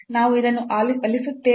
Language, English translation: Kannada, So, let me erase this